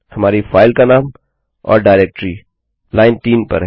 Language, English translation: Hindi, Our file name and directory on line 3